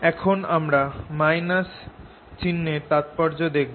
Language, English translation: Bengali, so you see the significance of this sign